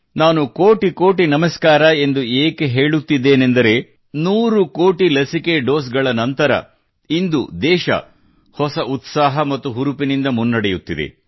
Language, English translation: Kannada, And I am saying 'kotikoti namaskar' also since after crossing the 100 crore vaccine doses, the country is surging ahead with a new zeal; renewed energy